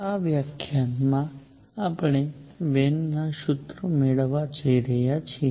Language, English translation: Gujarati, In this lecture we are going to derive Wien’s formulas